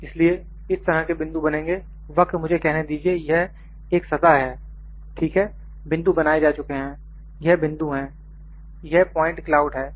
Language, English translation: Hindi, So, this kind of points will be produced, the curve let me say this is one surface, ok, the points are produced, these are the points, this is point cloud